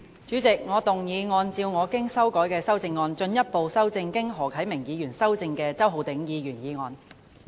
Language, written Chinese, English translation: Cantonese, 主席，我動議按照我經修改的修正案，進一步修正經何啟明議員修正的周浩鼎議員議案。, President I move that Mr Holden CHOWs motion as amended by Mr HO Kai - ming be further amended by my revised amendment